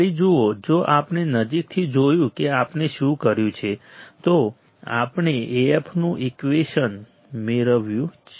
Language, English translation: Gujarati, See again we if we closely see what we have done, we have we have derived the equation of A f the equation of A f right